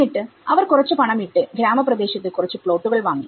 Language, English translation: Malayalam, And they put some money and they bought some plots in the rural area